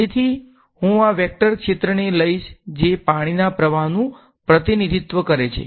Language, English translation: Gujarati, So, I take this vector field a which is representing water flow